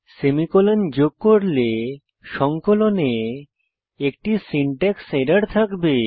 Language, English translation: Bengali, If we give the semicolon, there will be a syntax error on compilation